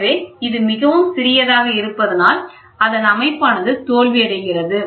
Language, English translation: Tamil, So, if it is very small, the system fails